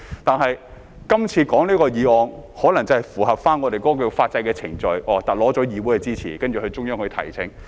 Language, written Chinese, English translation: Cantonese, 但是，這次討論這項議案可能是要符合我們法制的程序，取得議會的支持，然後向中央提請。, Nevertheless this motion we are discussing may aim at seeking compliance with the procedures of our legal system and receiving the Councils support before a request is made to the Central Authorities